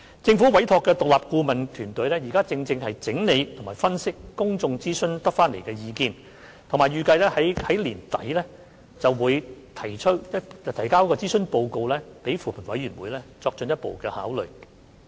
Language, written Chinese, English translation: Cantonese, 政府委託的獨立顧問團隊正整理及分析在公眾諮詢期間蒐集到的意見，並預計在年底向扶貧委員會提交諮詢報告，以便作進一步考慮。, An independent consultancy team appointed by the Government is collating and analysing the views collected during the public consultation period and it is expected that a consultancy report will be submitted to the Commission on Poverty for further consideration late this year